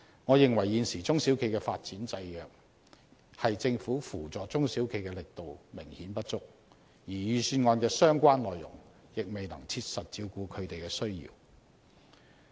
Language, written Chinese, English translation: Cantonese, 我認為現時中小企的發展制約，是政府扶助中小企的力度明顯不足，而預算案的相關內容亦未能切實照顧他們的需要。, I think the hindrance to the development of SMEs is that the assistance to SMEs is obviously not strong enough and the relevant contents of the Budget cannot appropriately address their needs